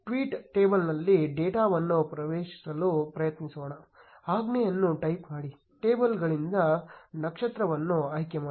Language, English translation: Kannada, Let us try to access the data in the tweet table, type the command, select star from tweets